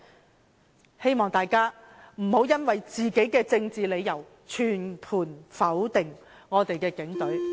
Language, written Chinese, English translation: Cantonese, 我希望大家不要因為政治理由而全盤否定我們的警隊。, I hope Members will not disapprove of the Police as a whole for political reasons